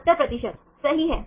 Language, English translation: Hindi, 70 percent right